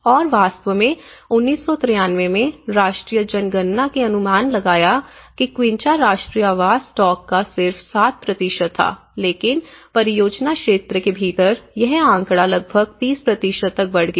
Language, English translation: Hindi, And in fact, in 1993, the national census estimated that the quincha formed just 7% of the national housing stock but within the project area, this figure rose to nearly 30%